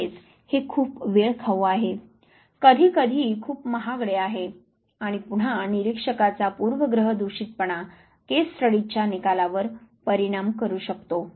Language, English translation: Marathi, It is also very time consuming, sometime very expensive, and once again the bias of the observer might influence findings of case studies